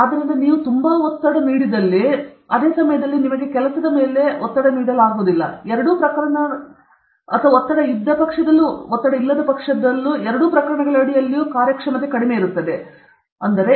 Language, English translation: Kannada, So, if you are extremely stressed, at the same time you are not stressed under both these cases the performance will be very less